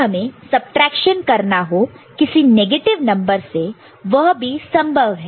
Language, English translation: Hindi, Now, if we want to perform subtraction from a negative number that is also possible, that is also possible right